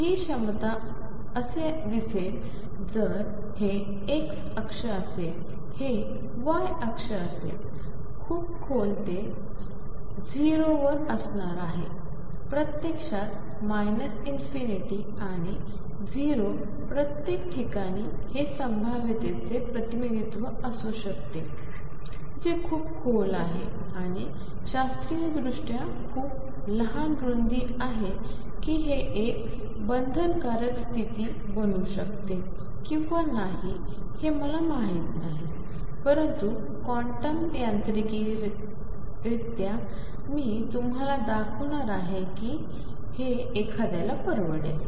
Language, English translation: Marathi, This potential is going to look like this, if this is the x axis, this is the y axis, it is going to be very deep at x equal to 0, infect going to minus infinity and 0 everywhere else this could be a representation of a potential which is very deep an and has very small width classically whether this can a ford a bound state or not we do not know, but quantum mechanically I am going to show you that this afford someone state